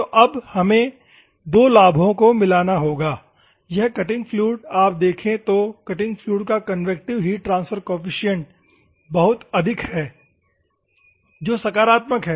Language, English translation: Hindi, So, now, we have to mix the two advantages; this cutting fluid, if you see the cutting fluid convective heat transfer coefficient is very high that is positive